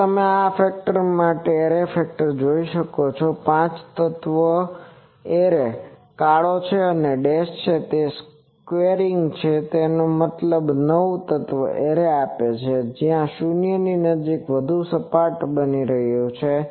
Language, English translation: Gujarati, Now, you can see the array factor for this that the 5 element array is the black one and the dash one is the that squaring that gives you nine element array where it is becoming in near the 0 more flatter